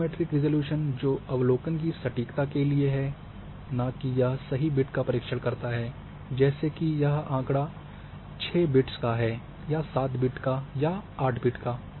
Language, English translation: Hindi, Radiometric resolution which is the precision of observation and a not basically accuracy that whether it is 6 bits data, 7 bits data, 8 bit data